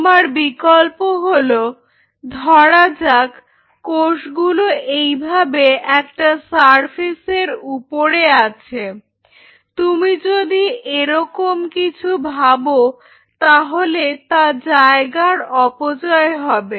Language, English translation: Bengali, Your options are you have the cells exclusively on the surface like this, which is kind of if you think of it will be a wastage of space